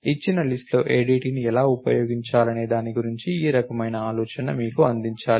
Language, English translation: Telugu, So, this kind of should give you an idea about how to use an ADT in a given list